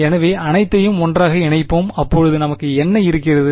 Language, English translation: Tamil, So, let us just put it all together, what do we have then